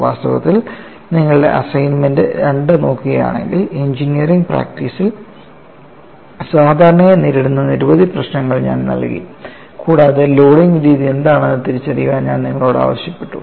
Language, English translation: Malayalam, In fact, if you look at your assignment two, I have given a variety of problems that are commonly encountered in engineering practice and I asked you to identify what is the mode of loading